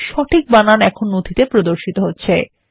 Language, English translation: Bengali, You see that the correct spelling now appears in the document